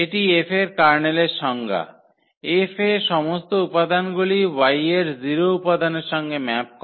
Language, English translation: Bengali, So, this is the definition of the kernel of F; all the elements in X which map to the 0 element in Y